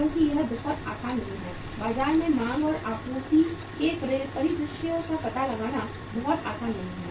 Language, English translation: Hindi, Because it is not very it is not very easy to find out the demand and supply scenario in the market